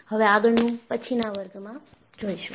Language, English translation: Gujarati, We will see in the next class